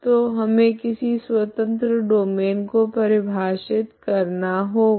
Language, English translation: Hindi, So we have to define something like domain of independence